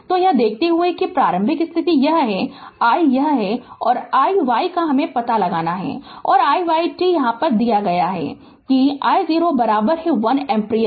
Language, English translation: Hindi, So, given that initial condition this is i and this is i y you have to find out i t and i y t given that I 0 is equal to 1 ampere